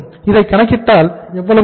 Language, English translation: Tamil, So it will work out as how much